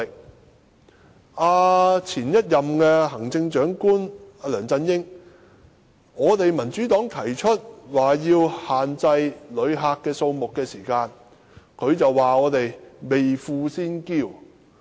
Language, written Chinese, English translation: Cantonese, 當民主黨向前任行政長官梁振英提出限制旅客數目時，他便指我們"未富先驕"。, When the Democratic Party proposed to LEUNG Chun - ying the former Chief Executive that the authorities should cap the number of visitor arrivals he criticized us for acting proudly before getting rich